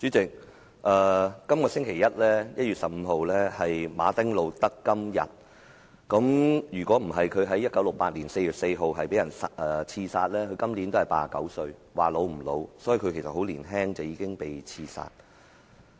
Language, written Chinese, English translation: Cantonese, 主席，這個星期一是馬丁.路德.金日，如果他沒有在1968年4月4日被刺殺，今年便已89歲，也不算很老。, President this Monday 15 January was Martin Luther KING Jr Day . If he were not assassinated on 4 April 1968 he would have been 89 years old not being considered too old at present